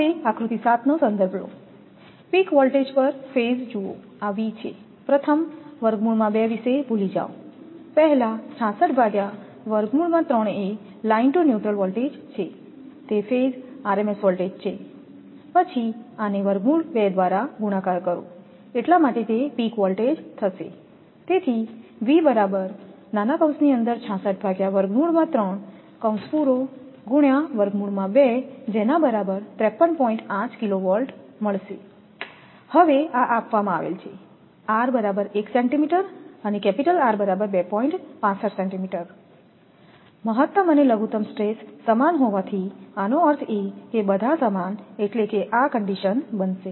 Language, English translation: Gujarati, Now, referring to figure 7 peak value of per phase voltage look this is first forget about root 2 first 66 by root 3 is the your whatever you will come line to your neutral that is phase rms voltage, then multiply by this root 2 it will be peak voltage right that is why V is equal to 66 upon root 3 into root 2 that is 53